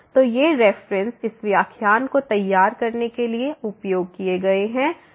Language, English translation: Hindi, So, these are the references used for preparing this lecture